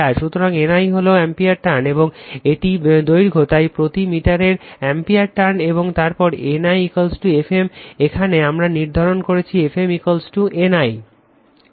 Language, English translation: Bengali, So, N I is ampere turn, and this the length, so ampere turns per meter and then N I is equal to F m, here we have define F m is equal to N I right